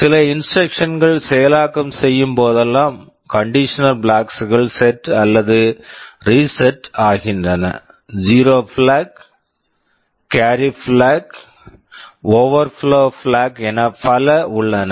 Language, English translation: Tamil, Whenever some instructions are executed the condition flags are set or reset; there is zero flag, carry flag, overflow flag, and so on